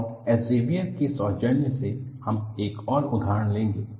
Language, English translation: Hindi, And the courtesy goes to Elsevier, and we will take up another example